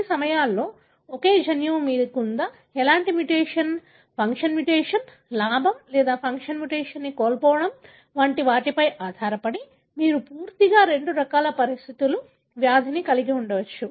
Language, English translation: Telugu, At times, the same gene depending on whether you have, what kind of mutation, whether it is a gain of function mutation or a loss of function mutation, you could have entirely two different kind of conditions, disease